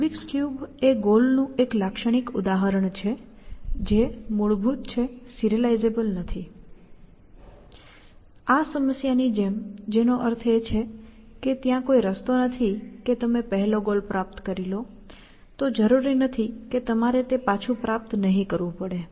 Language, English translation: Gujarati, So, rubrics cube is the typical example of a goal, which is fundamentally, not serializable, like this problem, which means that there is no way that you can achieve the first goal, and not have to achieve it later again, essentially